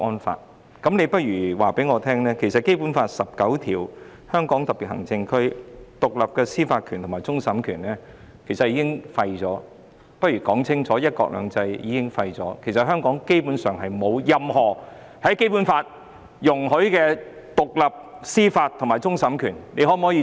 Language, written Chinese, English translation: Cantonese, 她倒不如清楚告訴我，香港特區根據《基本法》第十九條所享有的獨立司法權和終審權，以及"一國兩制"已經廢除，香港基本上已沒有《基本法》所容許的獨立司法權和終審權。, She might as well tell us explicitly that the independent judicial power including that of final adjudication vested with HKSAR under Article 19 of the Basic Law as well as one country two systems have been repealed . Basically Hong Kong is no longer vested with the independent judicial power including that of final adjudication as allowed under the Basic Law